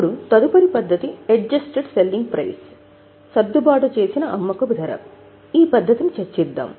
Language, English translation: Telugu, Now let us go to the next method that is adjusted selling price